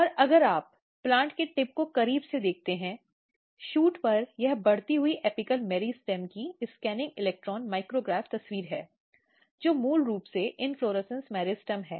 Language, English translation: Hindi, And if you look a closer view of the very tip of the plant, at shoot this is a scanning electron micrograph picture of growing shoot apical meristem which is basically inflorescence meristem